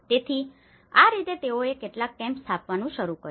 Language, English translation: Gujarati, So, this is how they started setting up some camps